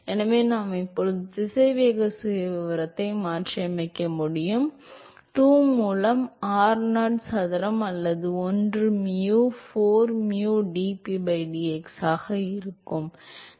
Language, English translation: Tamil, So, I can substitute now the velocity profile, so that will be 2 by r naught square or one by mu, 4 mu dp by dx